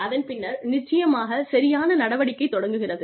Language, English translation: Tamil, And then, of course, corrective action starts